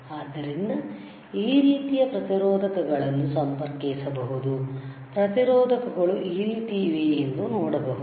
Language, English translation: Kannada, But so, you can connect resistors like this, you see resistors are like this, all right